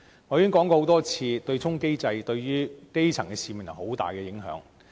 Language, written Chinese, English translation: Cantonese, 我已經多次說過，對沖機制對於基層市民有很大影響。, As I have said repeatedly the offsetting mechanism has great impact on the grass roots